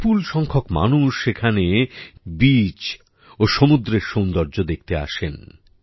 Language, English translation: Bengali, A large number of people come to see the beaches and marine beauty there